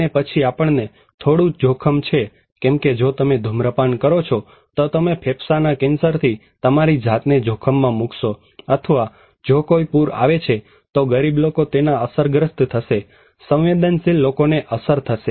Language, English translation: Gujarati, And then we have some risk, like if you smoke, you are endangering yourself with a lung cancer, or if there is a flood, poor people is affected, vulnerable people would be affected